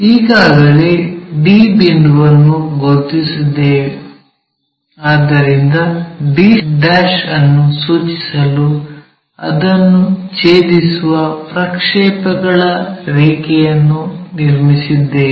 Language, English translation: Kannada, We have already located d point, so draw a projector line which cuts that to indicates d'